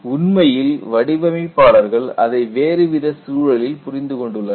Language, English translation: Tamil, In fact, designers have understood it from a different context